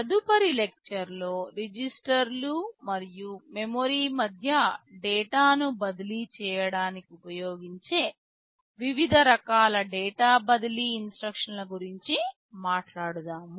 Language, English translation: Telugu, In the next lecture, we shall be talking about the data transfer instructions; what are the various kinds of data transfer instructions that can be used to transfer data between registers and memory